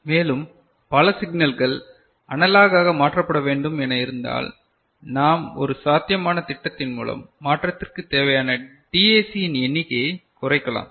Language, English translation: Tamil, And, if there are multiple signals need to be converted to analog then how I mean one possible scheme, that can reduce the number of DAC that is required for the conversion